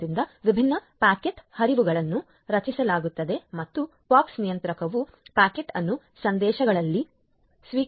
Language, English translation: Kannada, So, different packet flows are generated and the POX controller receives the packet in messages